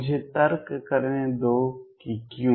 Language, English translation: Hindi, Let me argue that why